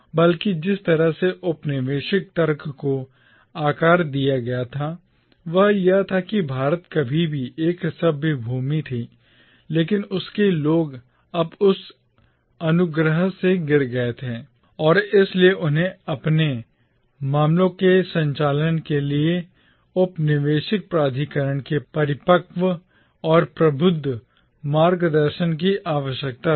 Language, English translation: Hindi, Rather, the way the colonial argument was shaped was like this that India was once a civilised land but its people had now fallen from that grace and that is why they need the mature and enlightened guidance of the colonial authority to conduct their affairs